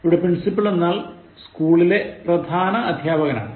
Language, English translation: Malayalam, Now, Principal refers to the head, the chief, the main teacher of a school